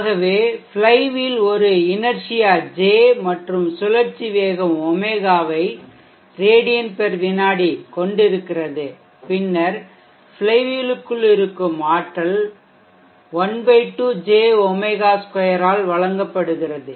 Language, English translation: Tamil, So the flywheel is having an inertia J and rotational speed Omega in radians per second then the energy contained within the flywheel is given by ½ J